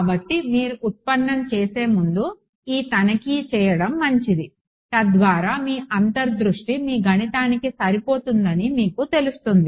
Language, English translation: Telugu, So, it is good to do this check before you do the derivation so that, you know your intuition matches your math